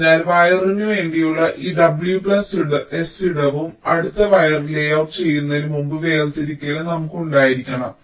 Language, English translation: Malayalam, so we must have this w plus s amount of space left for the wire itself and also the separation before the next wire can be layout laid out